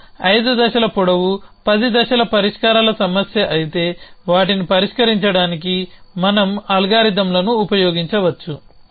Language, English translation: Telugu, So, if you are the problem in which the solutions of 5 steps longer 10 steps long then we could use is algorithms for solving them